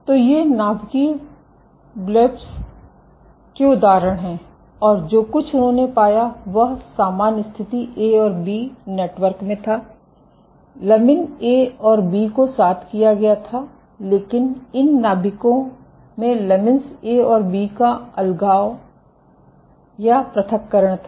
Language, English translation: Hindi, So, these are examples of nuclear blebs and what they found was in general case A and B networks, lamin A and B are juxtaposed, but in these nuclei there was a separation or segregation of lamin A and B ok